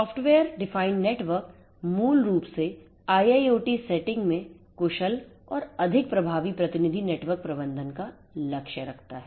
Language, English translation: Hindi, Software defined networks basically targets to have efficient and more effective representative network management in the IIoT setting